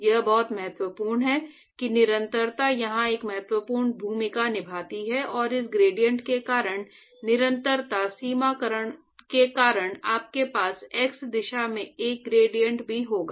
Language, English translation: Hindi, So, it is very important continuity plays an important role here and because of this gradient, you also going to have a gradient in the x direction right because of the continuity equation